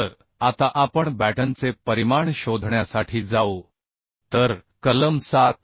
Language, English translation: Marathi, So now we will go to find out the dimension of the batten